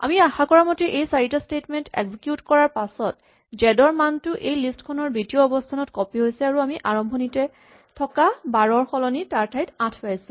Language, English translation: Assamese, So, as you would expect after executing these four statements, because of this update succeeding the value of z is copied into the list that position 2 and so we get the value 8 instead of the value 12 that we started with